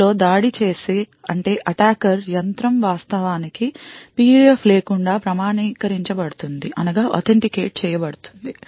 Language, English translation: Telugu, In this may be attacker machine can get authenticated without actually having a PUF